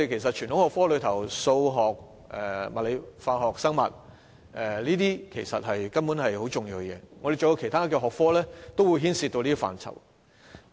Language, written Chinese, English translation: Cantonese, 在傳統學科中，數學、物理、化學和生物根本是很重要的，其他學科也會牽涉到這些範疇。, Among the traditional subjects mathematics physics chemistry and biology are basically very important as other subjects also involve these areas